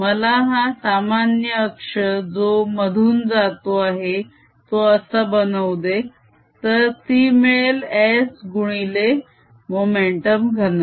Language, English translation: Marathi, let me make this common axis derive in the middle is going to be s right s times, the momentum density